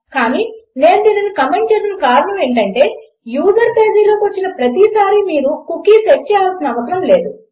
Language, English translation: Telugu, But the reason I have commented this is because you dont need to set a cookie every time the user comes into the page